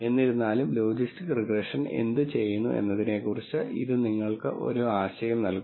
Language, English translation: Malayalam, Nonetheless so, it gives you an idea of what logistic regression is doing